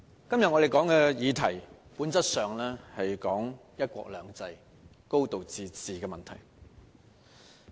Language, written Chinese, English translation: Cantonese, 主席，我們今天討論的議題，本質上是討論"一國兩制"、"高度自治"的問題。, President the subject we are debating today is essentially related to one country two systems and a high degree of autonomy